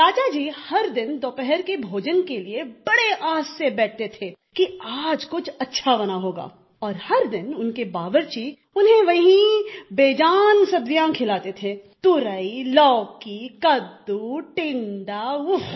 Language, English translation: Hindi, Every day the king would sit for lunch with great hope that today something good must have been cooked and everyday his cook would serve the same insipid vegetablesridge gourd, bottle gourd, pumpkin, apple gourd